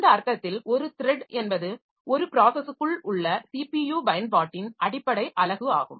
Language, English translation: Tamil, So, in this sense, a thread is the basic unit of CPU utilization within a process